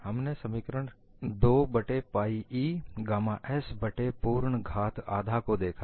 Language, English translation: Hindi, We have looked at the expression as 2 by pi E gamma s divided by a whole power half